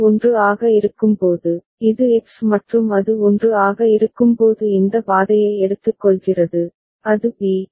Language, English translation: Tamil, And when it is 1 so, this is X and when it is 1 it is taking this path and it is going to b